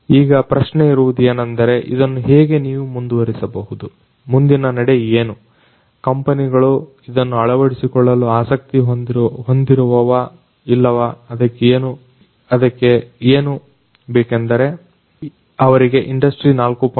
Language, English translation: Kannada, So, the question is that how you can take it forward what should be the next steps whether these companies are going to be interested in the adoption or not, but for that what is required is to make them sufficiently educated about what industry 4